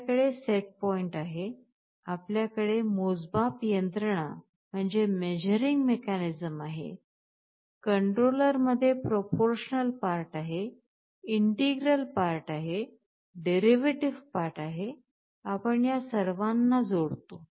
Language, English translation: Marathi, You have the set point, you have the measuring mechanism, you have a proportional part in the controller, integral part, derivative part, you add all of these three up